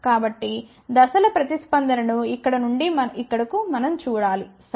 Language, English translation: Telugu, So, we have to see the phase response more from here to here, ok